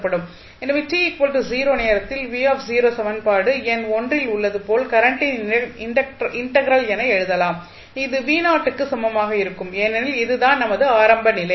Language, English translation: Tamil, So, now what we can write at time t is equal to 0 v not v0 can be written as 1 upon c integral minus infinity to 0 I dt and that will be equal to v not because this is our initial condition